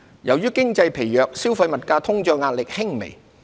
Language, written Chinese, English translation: Cantonese, 由於經濟疲弱，消費物價通脹壓力輕微。, Amid a lacklustre economy pressures on consumer price inflation were modest